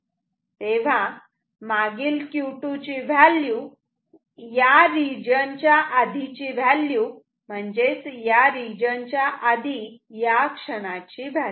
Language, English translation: Marathi, Q 2 previous is the value of Q 2 before this region; that means, here at this instant before this region and what was that value